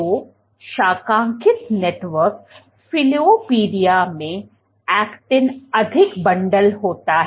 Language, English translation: Hindi, So, branched network versus in filopodia the actin is more bundled